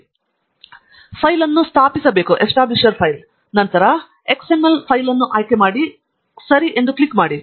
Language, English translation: Kannada, And the file is to be located here, and then, select the XML file, click OK